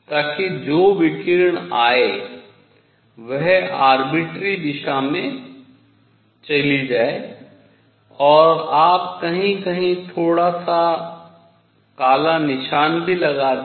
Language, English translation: Hindi, So, that the radiation that comes in, goes in arbitrary direction and you also put a little bit of black spot somewhere